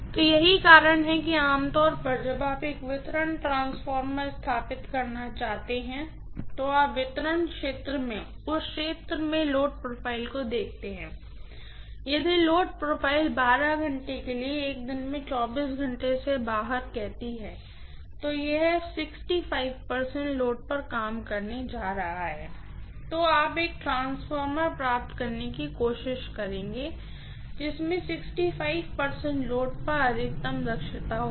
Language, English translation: Hindi, So, that is the reason why you generally when you want to install a distribution transformer you tend to look at the load profile in that area in the distribution area and if the load profile says out of 24 hours in a day for 12 hours it is going to work at 65 percent load, then you would try to get a transformer which will have maximum efficiency at 65 percent load